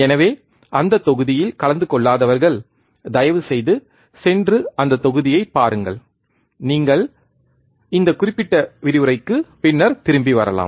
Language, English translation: Tamil, So, those who have not attended that module, please go and see that module, and then you could come back to this particular lecture